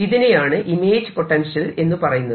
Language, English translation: Malayalam, these are known as this is known as the image potential